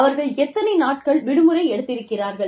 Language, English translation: Tamil, How many days were permitted, as leave